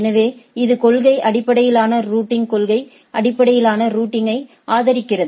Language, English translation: Tamil, So, it is policy based routing, right also supports policy based routing